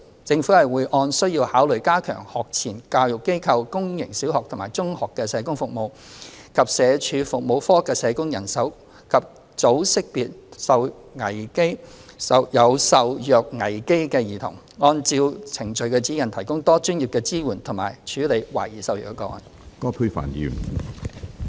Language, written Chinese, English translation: Cantonese, 政府會按需要考慮加強學前教育機構、公營小學及中學的社工服務，以及社署服務課的社工人手，及早識別有受虐危機的兒童，按照《程序指引》提供多專業的支援及處理懷疑受虐個案。, The Government will continue to consider on a need basis enhancing the social work service in pre - primary institutions as well as public sector primary and secondary schools and the social work manpower of FCPSUs for early identification of children at risk of abuse and provide multi - disciplinary support and handle suspected abuse cases in accordance with the Procedural Guide